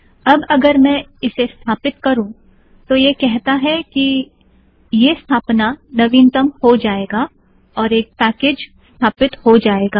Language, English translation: Hindi, Now if I say install, it says that this installation will be updated, one package will be installed